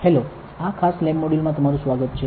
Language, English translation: Gujarati, Hi, welcome to this particular lab module